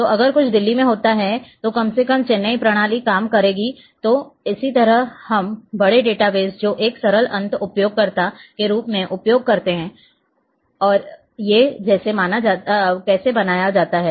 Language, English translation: Hindi, So, that is something happens in Delhi at least the Chennai system will work and this is how this big databases which we are using as a simple end user these are how this is how these are being maintained